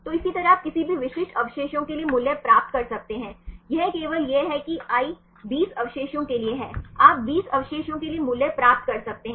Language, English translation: Hindi, So, likewise you can get the value for the any specific residues this is only this is for i stands for 20 residues right, you can get the values for 20 residues